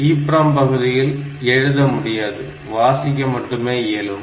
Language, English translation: Tamil, So, you should not try to write on to the EPROM part, you should only read